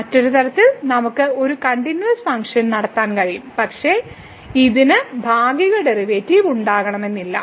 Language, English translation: Malayalam, So, other way around, we can have a continuous function, but it may not have partial derivative